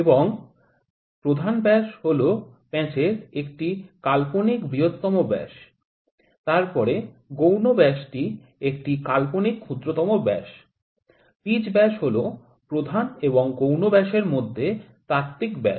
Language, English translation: Bengali, And major dia is an imaginary largest dia of the thread, then the minor dia is an imaginary smallest dia, pitch dia is theoretical dia between the major and minor dia diameters